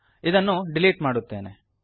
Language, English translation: Kannada, Let me delete this